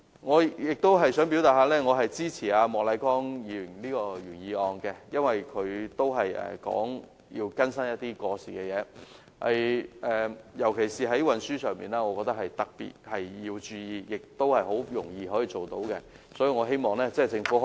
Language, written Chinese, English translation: Cantonese, 我亦想表示支持莫乃光議員的原議案，因為他提出更新過時的法例，尤其在運輸方面，我認為政府應特別注意，而且也是很容易做到的。, I also wish to express support for Mr Charles Peter MOKs original motion because he has proposed the updating of outdated legislation and with respect to transport in particular I think the Governments attention is particularly warranted and this task is also easy to accomplish